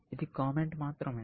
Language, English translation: Telugu, This is just a comment